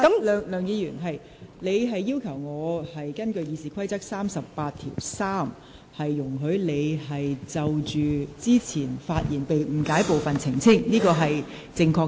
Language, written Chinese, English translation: Cantonese, 梁議員，你要求我根據《議事規則》第383條，容許你就先前發言中被誤解的部分作出澄清，這是正確的。, Dr LEUNG you requested me under Rule 383 of the Rules of Procedure to allow you to clarify the part of your speech earlier which has been misunderstood . This is correct